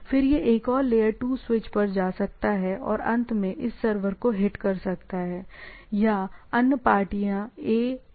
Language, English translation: Hindi, Then it can go to another layer 2 switch and finally, hits to this server or means to other party A and B, right